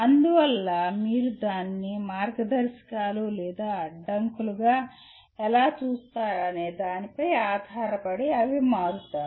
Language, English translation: Telugu, And so to that extent they become depending on how you view it as guidelines or constraints